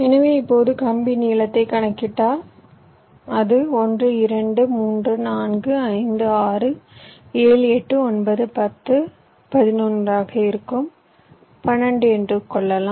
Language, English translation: Tamil, so now, if you calculate the wire length, it will be one, two, three, four, five, six, seven, eight, nine, ten, eleven and i think twelve, so it becomes twelve